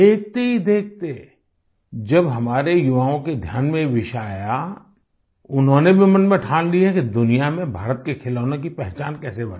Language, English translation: Hindi, Within no time, when this caught the attention of our youth, they too resolutely decided to work towards positioning Indian toys in the world with a distinct identity